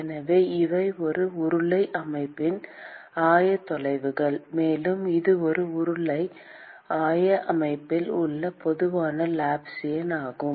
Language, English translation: Tamil, So, these are the 3 coordinates of a cylindrical system; and this is the general Laplacian in the cylindrical coordinate system